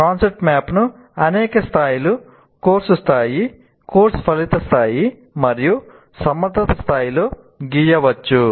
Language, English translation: Telugu, And it can be concept map can be drawn at several levels, course level, course outcome level and at competency level